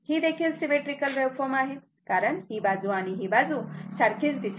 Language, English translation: Marathi, It is symmetrical because this side and this side is same look